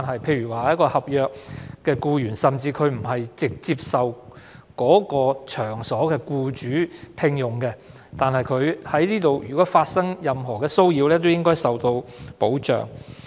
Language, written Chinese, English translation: Cantonese, 例如，一名合約僱員不是直接受某場所的僱主聘用，但如果該名僱員在該場所內受到任何騷擾，亦應該受到保障。, For example a contract employee who is not directly employed by the employer of the workplace should also be protected against any harassment in the workplace